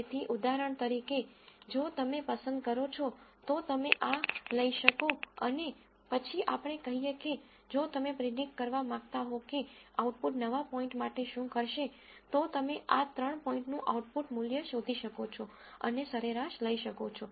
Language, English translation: Gujarati, So, for example, if you so choose to, you could take this and then let us say if you want to predict what an output will be for a new point, you could find the output value for these three points and take an average